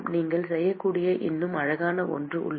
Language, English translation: Tamil, And there is something even more cute you can do